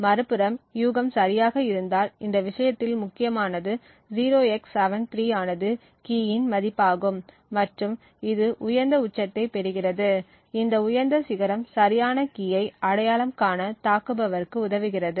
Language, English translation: Tamil, 02, on the other hand if the guess is correct which in this case is the key is 0x73 we get a high peak in the correlation value, this high peak would thus permit the attacker to identify the correct key